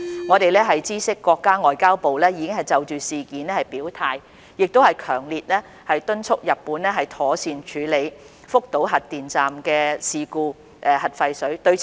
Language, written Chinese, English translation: Cantonese, 我們知悉國家外交部已經就事件表態，亦強烈敦促日本妥善處理福島核電站核廢水的事故。, We learn that the Ministry of Foreign Affairs has already expressed its stance and has strongly urged Japan to properly handle the incident of discharging nuclear wastewater from the Fukushima nuclear power station